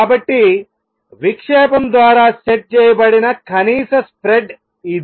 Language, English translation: Telugu, So, this is the minimum spread that is set by the diffraction